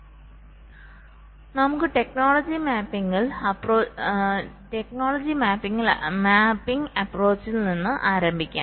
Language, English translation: Malayalam, so let us start with the technology mapping approach